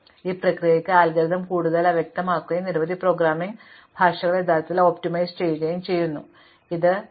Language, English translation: Malayalam, On the other hand, this process can make the algorithm more obscure and many programming languages actually or optimizing compilers can try to do this automatically